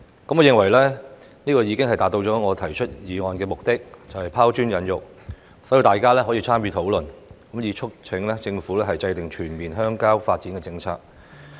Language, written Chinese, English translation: Cantonese, 我認為這已經達到了我提出議案的目的，就是拋磚引玉，讓大家參與討論，促請政府制訂全面鄉郊發展的政策。, In my view this has already achieved my purpose of moving this motion which is to arouse Members interest in and encourage their discussion on this subject with a view to urging the Government to formulate a comprehensive rural development policy